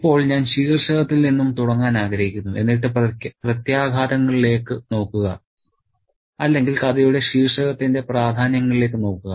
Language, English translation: Malayalam, Now, I want to begin with the title and look at the implications or the significance of the title for the story